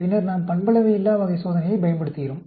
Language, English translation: Tamil, Then, we use the nonparametric type of test